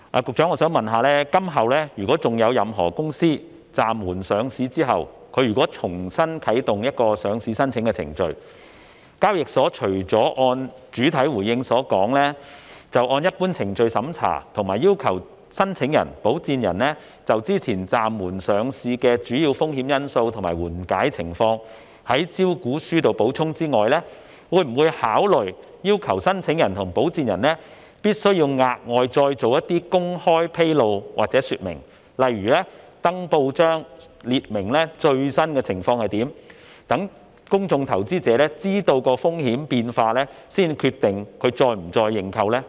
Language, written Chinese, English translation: Cantonese, 局長，今後如有任何公司在暫緩上市後重啟上市程序，港交所除了會如主體答覆所言，按照一般程序進行審查，以及要求申請人及保薦人就先前暫緩上市的主要風險因素及緩解情況在招股書中作出補充外，會否考慮要求申請人及保薦人額外作出某些公開披露或說明，例如登報述明最新情況，以便公眾投資者在得悉風險變化後才決定是否再次認購？, Secretary in future if a company wishes to reactivate its listing application after the suspension of listing will HKEX apart from vetting the application in accordance with the normal procedure and requesting the applicant and its sponsors to provide supplementary information on the major risk factors relating to the previous listing suspension and the easing of such risks in its prospectus as stated in the main reply consider requiring the applicant and its sponsors to disclose or explain to the public some additional information eg . publishing on newspapers an announcement about the companys latest position so that public investors can learn about the changes in risk before deciding whether they will subscribe for its shares again?